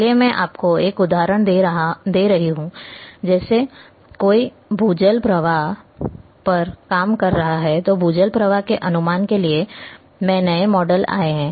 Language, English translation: Hindi, Let me give you one example like somebody if he is working on say ground water flow, in new model on ground water flow estimation has come